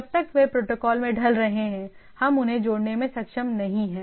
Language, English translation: Hindi, So long they are fitting into the protocol we are not able to connect them